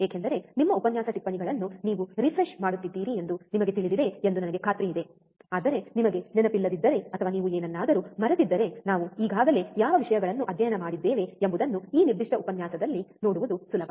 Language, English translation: Kannada, Because that I am sure that you know you are refreshing your lecture notes, but if you do not remember, or you have forgot something, it is easy to see in this particular lecture what things we have already studied